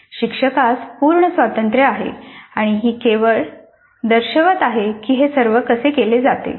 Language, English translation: Marathi, Teacher has a complete freedom and this is only an indicative of the way it needs to be done